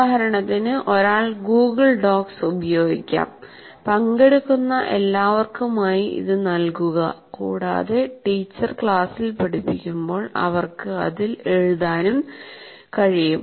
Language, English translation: Malayalam, For example, one can use what you can call as Google Docs and it can be given to all the participants and they can start working on it while the teacher is presenting in the class